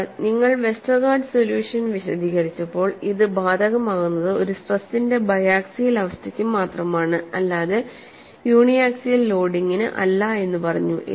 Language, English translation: Malayalam, Sir when you have explained the Westergaard solution, you mention that it is applicable only for a biaxial state of state of stress and not for uniaxial loading; however, it is used to represent the stress field in uniaxial case 2